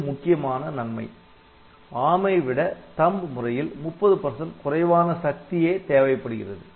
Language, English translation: Tamil, But, but the major advantage of THUMB is that it consumes 30 percent less power than ARM code, ok